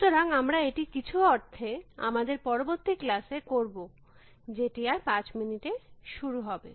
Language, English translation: Bengali, So, we will do that in some sense in the next class, which is after five minutes